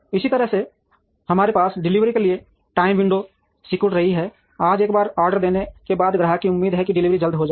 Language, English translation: Hindi, In a similar manner, we also have shrinking time window for delivery, today once the order is placed the customer expectation is that the delivery will be quick